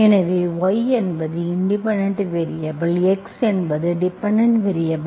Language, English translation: Tamil, So y is the independent variable, x is the dependent variable